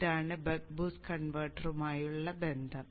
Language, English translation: Malayalam, So this is how the buck boost converter operates